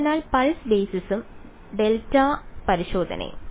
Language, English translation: Malayalam, So, pulse basis and delta testing